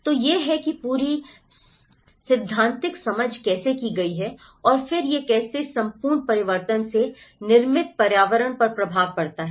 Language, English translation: Hindi, So, this is how the whole theoretical understanding has been done and then again how this whole transformation has an impact on the built environment